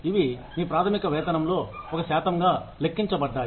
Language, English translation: Telugu, These are calculated, as a percentage of your basic pay